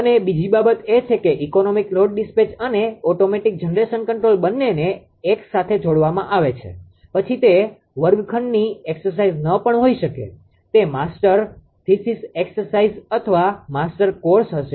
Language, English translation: Gujarati, And second thing is that economic load dispatch and automatic generation control both are combined together then it may not be a classroom ah exercise right, it will be ah [laughter] it will be a master pieces exercise or master course